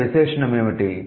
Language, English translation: Telugu, What is the adjective here